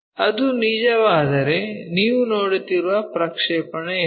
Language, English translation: Kannada, If that is the case, what is the projection you are seeing